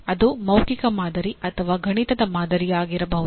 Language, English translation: Kannada, It could be a verbal model or a mathematical model